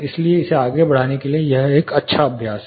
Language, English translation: Hindi, So, it is a good practice to get it further